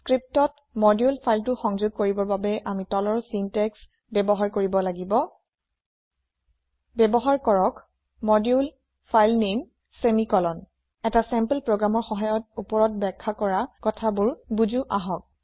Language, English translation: Assamese, To include the module file in the script, one has to use the following syntax use ModuleFileName semicolon Let us understand this using a sample program